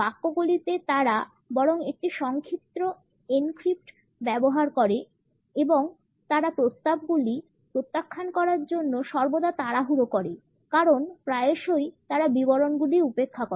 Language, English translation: Bengali, The sentences they use a rather short encrypt and they are always in a hurry to reject the proposals because often they tend to overlook the details